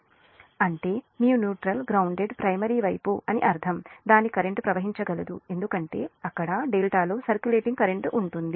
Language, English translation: Telugu, that means that means your neutral is grounded, is primary side, means its current can flow because there will be a your, what you call that circulating current inside the delta